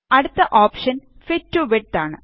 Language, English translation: Malayalam, Next option is Fit to Width